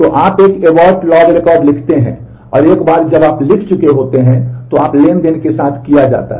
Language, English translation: Hindi, So, you write a abort log record and once you have written that, then you are done with the transaction